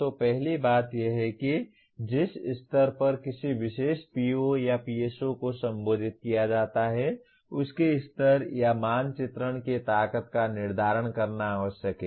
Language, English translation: Hindi, So first thing is it is necessary to determine the level of or mapping strength at which a particular PO or PSO is addressed by the course